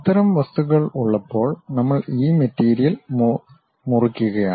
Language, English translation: Malayalam, When we have such kind of object we are chopping this material